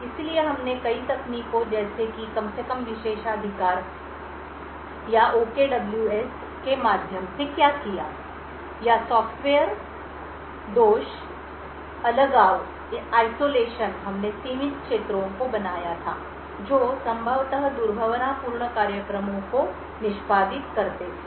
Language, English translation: Hindi, So, what we did through multiple techniques such as least privileges or the OKWS or the software fault isolation we had created confined areas which executed the possibly malicious programs